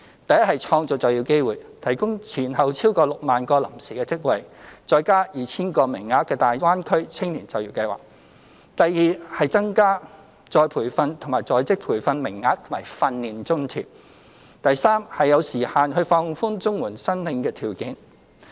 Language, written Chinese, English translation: Cantonese, 第一是創造就業機會，提供前後超過 60,000 個臨時職位，再加 2,000 個名額的大灣區青年就業計劃；第二是增加再培訓及在職培訓名額及訓練津貼；第三是有時限地放寬綜援申領條件。, We will provide over 60 000 temporary jobs altogether plus another 2 000 jobs under the Greater Bay Area Youth Employment Scheme . Secondly we will increase the number of retraining and in - service training places as well as the amount of the training allowance . Thirdly we will relax the eligibility criteria for CSSA on a time - limited basis